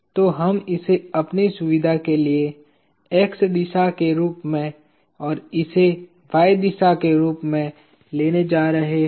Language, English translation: Hindi, So, we are going to take this as x direction and this as y direction for our own convenience